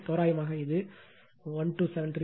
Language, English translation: Tamil, Approximately this is this is your 1273